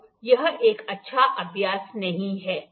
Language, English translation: Hindi, So, this is not a good practice